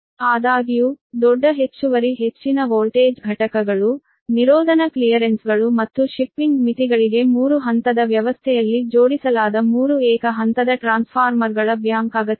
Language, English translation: Kannada, however, the large extra high voltage units, the insulation clearances and shipping limitations may require a bank of three single phase transformer connected in three phase arrangement